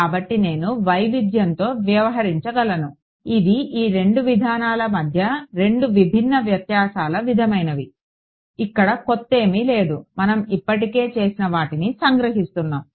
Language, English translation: Telugu, So, I could deal with heterogeneous these are the sort of the two contrasting differences between these two approaches; nothing new here we just summarizing what we have already done